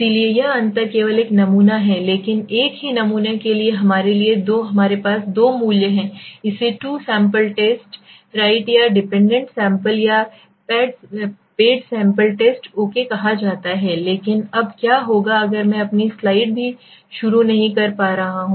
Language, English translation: Hindi, So this difference this only one sample but there are two values for us right for the same sample this is called a two sample t test right or dependent sample or paid sample t test okay, but now what if I am not even started my slides